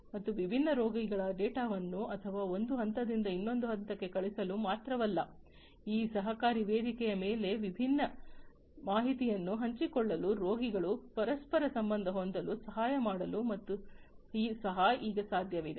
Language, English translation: Kannada, And it is now possible not only to send the data of different patients or whatever from one point to another, but also to help the patients to stay interconnected with one another to share the different information over this collaborative platform and so on